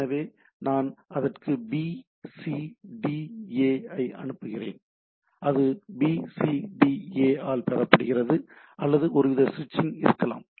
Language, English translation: Tamil, So, I send it BCDA and it is received by BCDA, right or there can be some sort of a switching, right